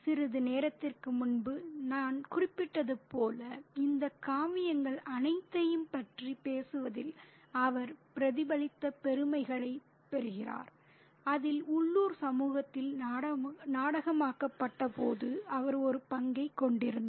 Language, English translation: Tamil, And as I mentioned a little while ago, he does get a lot of reflected glory in talking about all these epics in which he played a part when they were dramatized in the local community